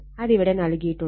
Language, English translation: Malayalam, So, it is written in it